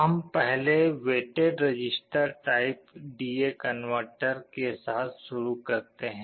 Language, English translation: Hindi, We first start with the weighted register type D/A converter